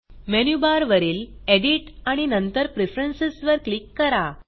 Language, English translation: Marathi, From the Menu bar, click on Edit and then Preferences